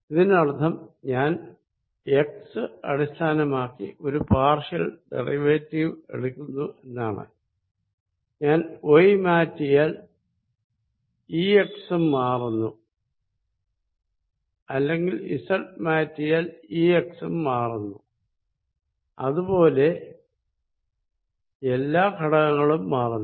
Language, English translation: Malayalam, That means, I am taking a partial derivative with respect to x, E x also changes if I change y or E x also changes, if I change z and so do all the other components